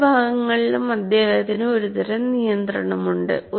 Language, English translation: Malayalam, All the four parts, he has some kind of control